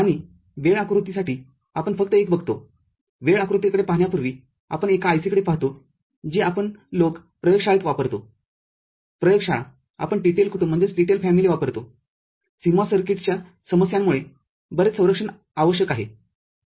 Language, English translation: Marathi, And for timing diagram, we just look at one before looking at the timing diagram we look at one IC which we people use in the lab; lab we use TTL family because of issues with CMOS circuits the lot of protections are required